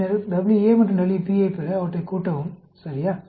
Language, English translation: Tamil, And then, add up to get WA and WB, ok